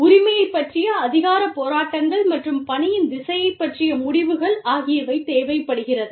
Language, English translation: Tamil, And, power struggles regarding ownership, and decisions regarding direction of work